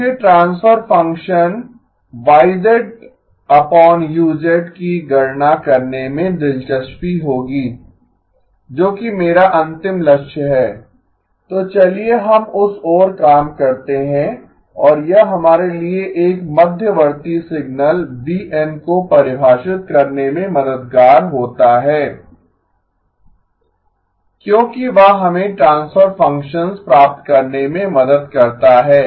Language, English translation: Hindi, I would be interested in computing the transfer function Y of z divided by U of z that is my ultimate goal, so let us work towards that and it is helpful for us to define an intermediate signal v of n because that helps us get the transfer functions